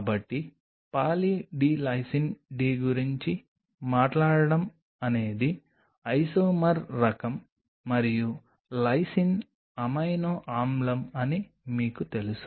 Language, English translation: Telugu, So, talking about Poly D Lysine D is the isomer type and lysine as you know is an amino acid